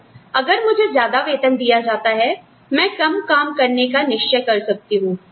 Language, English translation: Hindi, So, if I get paid more, then I may decide, to start working less